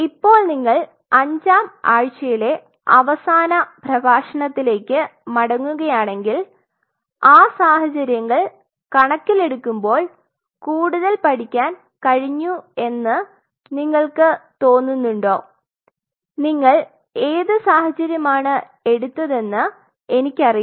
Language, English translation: Malayalam, Now if you go back in the last lecture of fifth week now do you feel more learn at that given your situation I do not know which one of here of your own set of situations